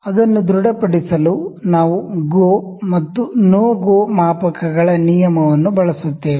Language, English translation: Kannada, To confirm it we will use the rule of GO and NO GO gauges